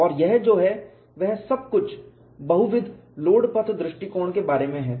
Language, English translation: Hindi, So, that is what this multiple load path approach is all about